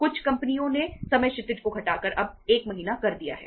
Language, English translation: Hindi, Some companies have reduced the time horizon now to 1 month